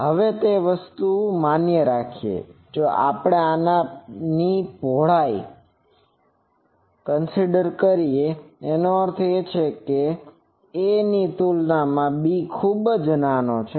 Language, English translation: Gujarati, Now that thing is valid, if we have this width of this; that means, that b is very small compared to a